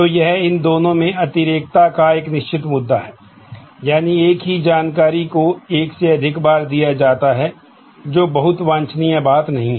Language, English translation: Hindi, So, there is a certain issue of redundancy in these two, that is, the same information is given more than once, which is not a very desirable thing